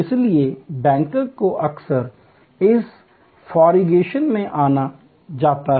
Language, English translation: Hindi, So, banks are often considered in this configuration